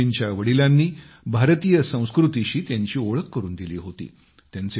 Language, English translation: Marathi, Seduji's father had introduced him to Indian culture